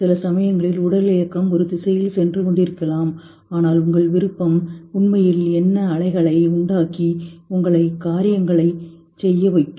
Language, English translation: Tamil, At times, your physicality may be going in one direction but your will may be actually tidying over and really make you do things